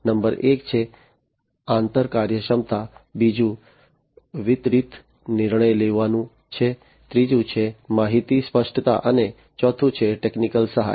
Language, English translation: Gujarati, Number one is interoperability, second is distributed decision making, third is information clarity, and fourth is technical assistance